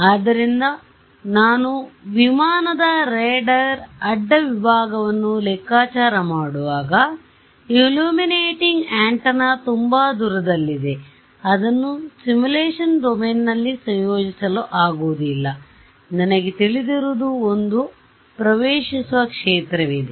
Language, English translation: Kannada, So, when I am calculating the radiation cross section the radar cross section of an aircraft, the illuminating antenna is so far away that I am not going to incorporate it in my simulation domain, all I know is that there is an incident field right